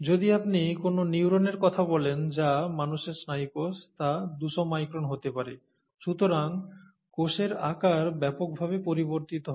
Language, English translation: Bengali, If you talk of a neuron, which is a neural cell in humans, that could be two hundred microns, right